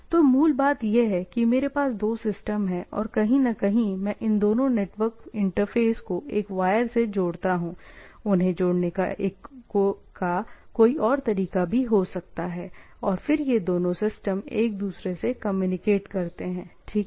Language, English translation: Hindi, So, the basic vanilla thing is that I have two systems and somewhere I, I connect a wire between these two network interfaces, like there may be some, some way of connecting them and then these two systems talks to each other, right